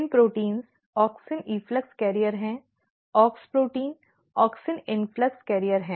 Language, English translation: Hindi, So, PIN proteins are auxin efflux carrier AUX protein are auxin influx carrier